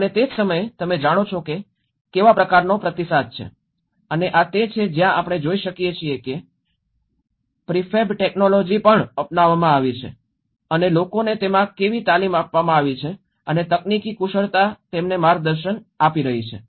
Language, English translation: Gujarati, And at the same time, you know what is the kind of response and this is where we can see the prefab technology also have been adopted and how people have been trained in it and the technical expertise have been guiding them